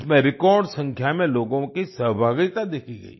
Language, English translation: Hindi, The participation of a record number of people was observed